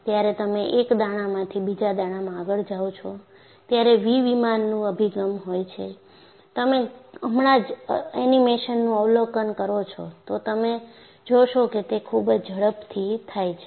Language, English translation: Gujarati, And when you move from one grain to another grain, the orientation of the V plane is different, and you just observe the animation now, you will find that, it goes very fast